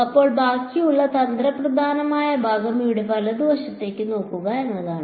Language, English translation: Malayalam, Then the remaining tricky part is to look at the right hand side over here